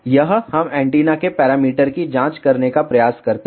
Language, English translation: Hindi, This is how we try to check the parameters of the antenna